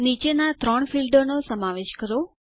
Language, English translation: Gujarati, Include the following three fields